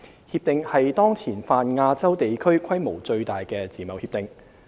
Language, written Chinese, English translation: Cantonese, 《協定》是當前泛亞洲地區規模最大的自貿協定。, RCEP would be the most comprehensive FTA in the Pan - Asian region